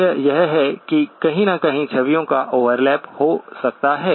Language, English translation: Hindi, The fact that somewhere there could be an overlap of the images